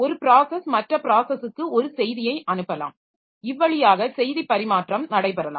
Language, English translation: Tamil, So, one process may send a message to another process and another, so that way the message exchange can take place